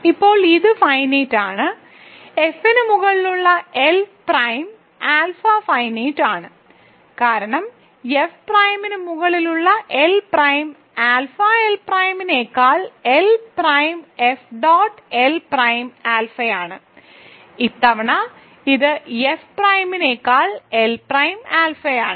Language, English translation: Malayalam, So, now, this is finite this is finite; hence, L prime alpha over F itself is finite because, L prime alpha over F is L prime F dot L prime alpha over L prime, so this times this is L prime alpha over F